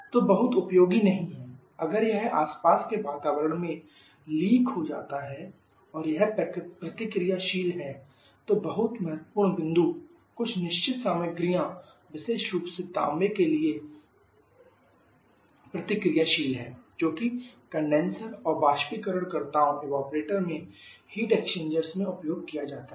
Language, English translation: Hindi, So, not very useful if it gets affecting the surrounding and it is reactive very important point is reactive to certain material respectively copper, which is used in the heat exchangers in the condenser and evaporators